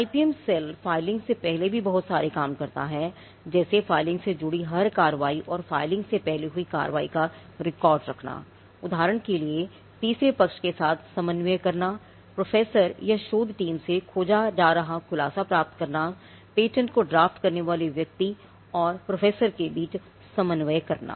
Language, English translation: Hindi, So, filing they have to keep record of every action pertaining to filing and the actions that happened before the filing; for instance coordinating with the third party getting a disclosure that is searchable from the professor or the research team, coordinating between the person who draughts the patent and the professor this quite a lot of work that the IPM cell does even before the filing